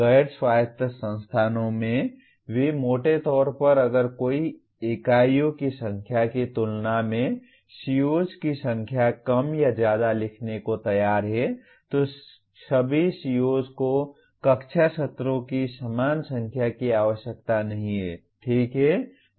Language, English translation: Hindi, So roughly even in non autonomous institutions if one is willing to write more or less number of COs than the number of units, the CO, all COs need not have the same number of classroom sessions, okay